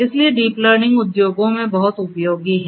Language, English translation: Hindi, So, deep learning, there are uses of deep learning a lot in the industries